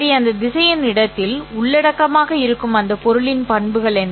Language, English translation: Tamil, What are the characteristics of those objects that are contained in that vector space